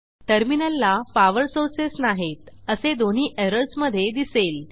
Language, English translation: Marathi, Both errors say that the terminals have no power sources